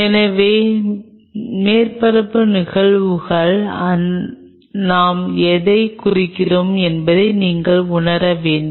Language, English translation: Tamil, So, you have to realize what I meant by surface phenomena